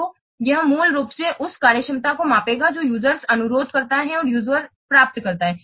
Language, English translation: Hindi, So it will basically measure the functionality that the user request and the user receives